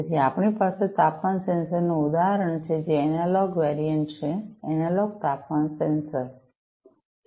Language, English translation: Gujarati, So, we have the example of a temperature sensor which is the analog variant, the analog temperature sensor